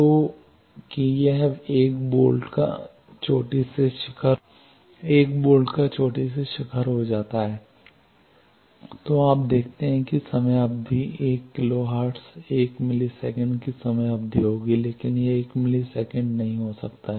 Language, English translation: Hindi, So, that it becomes 1 volt peak to peak then you see that time period is 1 kilo hertz 1 millisecond will be the time period, but it may not be 1 millisecond